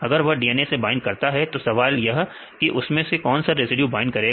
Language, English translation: Hindi, If it binds with the DNA, then the question is for any residue that residue binds or not